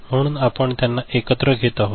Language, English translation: Marathi, So, we are taking them together